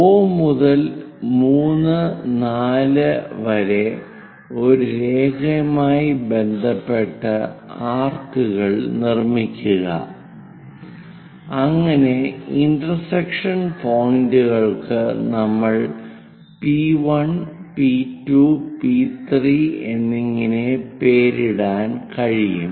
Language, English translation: Malayalam, O to 3, 4 and so on make arcs on respect to a lines so that intersection points we can name it like P1, P2, P3 and so on to P8